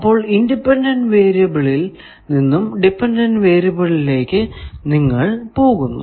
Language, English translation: Malayalam, You are going from one independent variable to one dependent variable